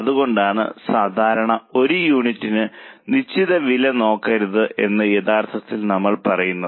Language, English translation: Malayalam, That is why actually we say that normally don't look at per unit fixed cost